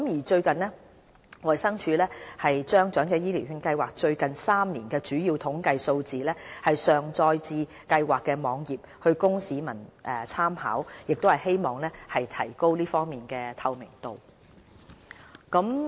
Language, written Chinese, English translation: Cantonese, 最近，衞生署把長者醫療券計劃最近3年的主要統計數字上載至該計劃的網頁，供市民參考，以提高這方面的透明度。, To enhance transparency DH has recently uploaded major statistical data of the EHCV Scheme over the past three years to the Schemes website for public reference